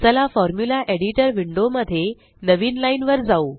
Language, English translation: Marathi, Let us go to a new line in the Formula Editor Window